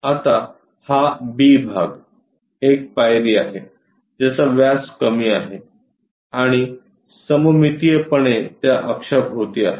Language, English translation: Marathi, Now this B part, the step one having lower diameter and is symmetrically placed around that axis